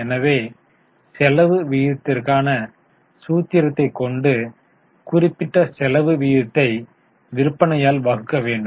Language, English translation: Tamil, So, the formula for expense ratio is that particular expense ratio divided by sales